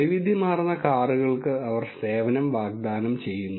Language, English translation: Malayalam, They offer service to wide variety of cars